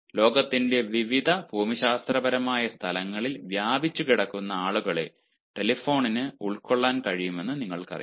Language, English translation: Malayalam, you know, telephone can cover wide range of people spread out in different geographical locations of the world